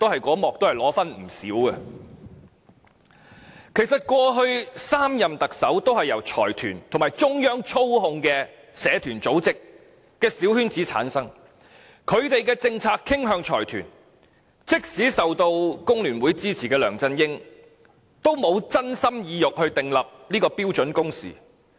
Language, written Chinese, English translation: Cantonese, 其實過去3任特首，都是在財團和中央操控的社團組織小圈子中產生，政策於是傾向財團，即使梁振英受工聯會支持，也沒有真心真意訂立標準工時。, The last three Chief Executives have all been returned by a small circle of community organizations under the control of business consortia and the Central Authorities . As a result the policies they made leaned towards the consortia . Though LEUNG Chun - ying has been backed by FTU he has been less than sincere when formulating the standard working hours policy